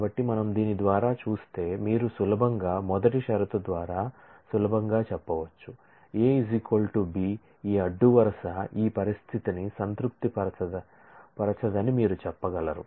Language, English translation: Telugu, So, you can easily if we look through this we can easily say by the first condition A equal to B you can say that this row does not satisfy this condition